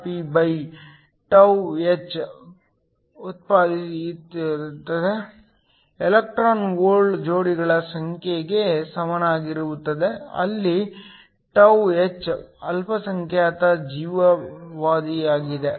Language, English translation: Kannada, This is equal to the number of electron hole pairs that are generated Ph, where τh is the minority life time